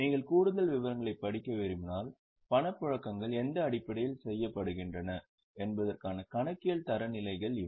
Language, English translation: Tamil, If you want to read more details, these are the accounting standards on the basis of which cash flows are made